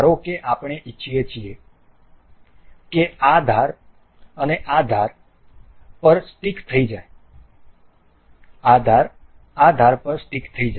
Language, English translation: Gujarati, Suppose we want to we want this edge to stick on this particular edge